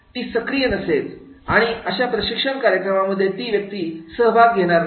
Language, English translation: Marathi, He will not be active, he will not be participative in the training programs